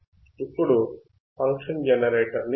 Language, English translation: Telugu, Let us see the function generator